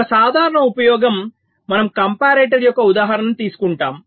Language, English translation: Telugu, we shall be taking a example of a comparator